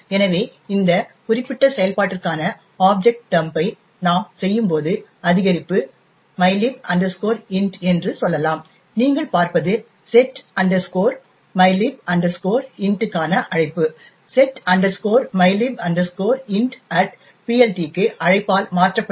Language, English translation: Tamil, So, when we do the object dump for this particular function say increment mylib int, what you see the call to setmylib int is replaced with a call to setmylib int at PLT